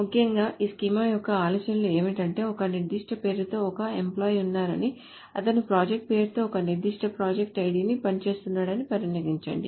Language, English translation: Telugu, So essentially the idea of this schema is that there is an employee with a particular name who works in a particular project ID with the name of project name